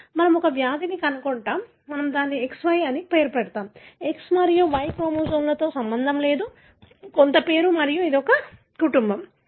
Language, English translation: Telugu, So, let us find a disease, we name it as XY disease, nothing to do with X and Y chromosome, some name and this is the family